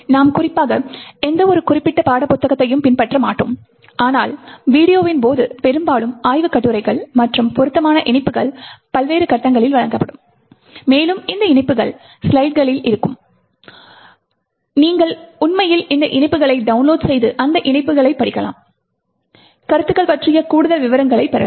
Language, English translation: Tamil, in particular, but mostly research papers and appropriate links would be provided at various stages during the videos and these links would be present in the slides and you could actually download these links and read those links to get more details about the concepts